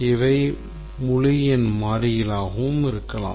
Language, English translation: Tamil, This can be integer variables also